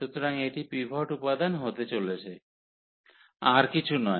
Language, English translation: Bengali, So, this is going to be the pivot element and then nothing else